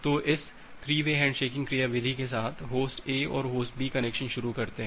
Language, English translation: Hindi, So, with this 3 way handshaking mechanism, Host A and Host B initiate the connection